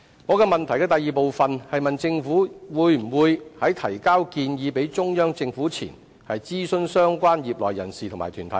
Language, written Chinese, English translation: Cantonese, 在主體質詢第二部分，我問政府在向中央政府提交建議前，會否諮詢相關業內人士和團體。, In part 2 of the main question I asked whether the Government would consult members and bodies of the relevant industries before submitting the proposals to the Central Government